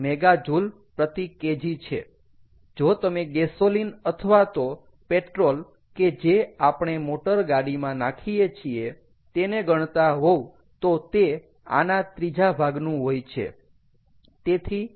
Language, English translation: Gujarati, if you consider gasoline or petrol which we put in our ah, in our cars, that is, ah, about a third of this